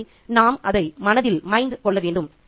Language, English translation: Tamil, So, we need to keep that in mind